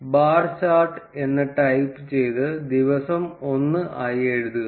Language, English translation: Malayalam, Specify the type that is bar chart and write the day as day 1